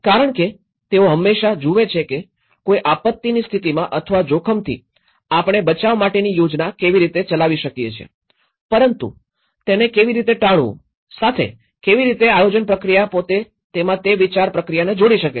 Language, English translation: Gujarati, Because they always see that how well at the event of a disaster or risk how well we can plan for rescue but how to avoid this okay, how a planning process itself can engage that thought process in it